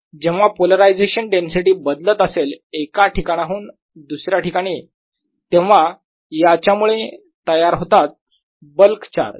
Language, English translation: Marathi, so if polarization density changes from one place to the other, it also gives rise to a bulk charge